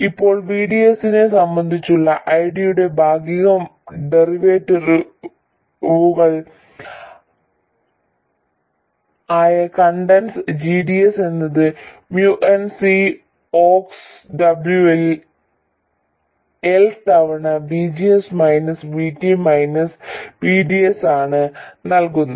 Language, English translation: Malayalam, Now the conductance GDS which is the partial derivative ID with respect to VDS is given by MUNC C Ox W Pyl times VGS minus VD minus VDS